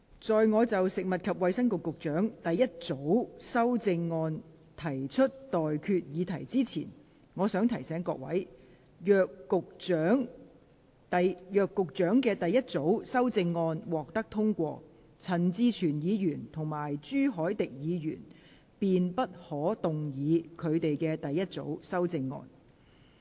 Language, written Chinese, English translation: Cantonese, 在我就食物及衞生局局長的第一組修正案提出待決議題之前，我想提醒各位，若局長的第一組修正案獲得通過，陳志全議員及朱凱廸議員便不可動議他們的第一組修正案。, Before I put to you the question on the first group of amendments of the Secretary for Food and Health I wish to remind Members that if this group of amendments proposed by the Secretary is passed Mr CHAN Chi - chuen and Mr CHU Hoi - dick may not move their first group of amendments